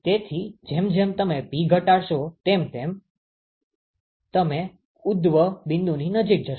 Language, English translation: Gujarati, So, as you decrease P you will go closer to the origin